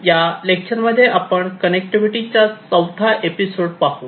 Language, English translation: Marathi, In this lecture, we talked about the 4th episode of Connectivity